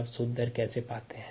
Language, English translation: Hindi, how do you find the net rate